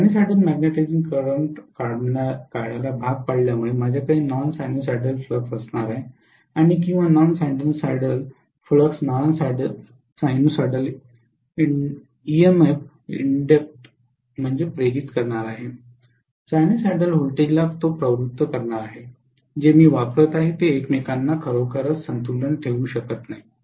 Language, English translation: Marathi, Because it is forced to draw a sinusoidal magnetizing current, I am going to have non sinusoidal flux and that non sinusoidal flux is going to induce a non sinusoidal emf that non sinusoidal emf and sinusoidal voltage that I am applying cannot really balance each other